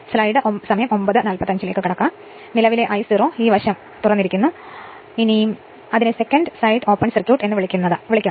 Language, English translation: Malayalam, This is the current I 0, this side is o[pen] your what you call the that your what you call that yoursecondary side is open circuited